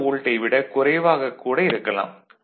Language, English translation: Tamil, 2 volt, it can be less than that